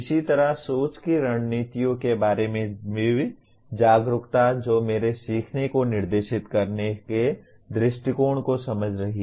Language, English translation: Hindi, Similarly, awareness of thinking strategies that is understanding approaches to directing my learning